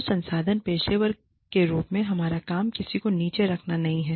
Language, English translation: Hindi, Our job, as HR professionals, is not to put down, anyone